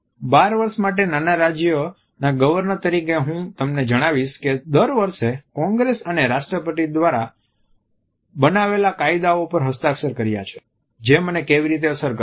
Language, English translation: Gujarati, I think governor of a small state for 12 years, I will tell you how it’s affected me every year congress and the president signed laws that makes a makeup